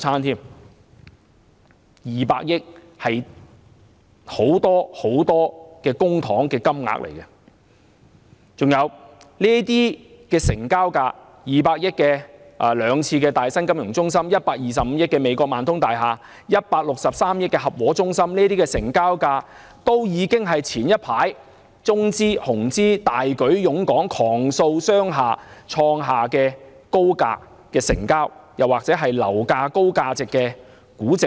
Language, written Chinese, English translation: Cantonese, 二百億元是非常龐大的公帑金額，這些成交價 ——200 億元可買兩次大新金融中心、125億元買美國萬通大廈、163億元買合和中心——已是早前中資、紅資大舉湧港狂掃商廈時創下的最高成交價或較高估值。, The 20 billion is a huge amount of public money and these prices―20 billion for the Dah Sing Financial Centre twice; 12.5 billion for the Mass Mutual Tower and 16.3 billion for the Hopewell Centre―are already the top transaction prices or the highest valuations recorded when Chinese capital came to snap up commercial buildings in Hong Kong earlier on